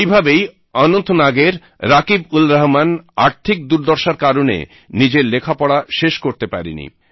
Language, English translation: Bengali, Similarly, RakibulRahman of Anantnag could not complete his studies due to financial constraints